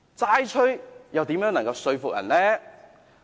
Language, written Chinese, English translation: Cantonese, "齋吹"又如何能說服人呢？, How can members of the public be convinced by empty accusations?